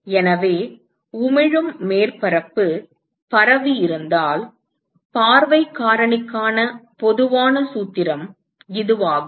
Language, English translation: Tamil, So, this is the general formula for view factor if the emitting surface is diffused